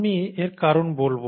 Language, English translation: Bengali, I’ll tell you the reason why